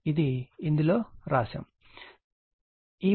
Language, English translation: Telugu, So, it is written in it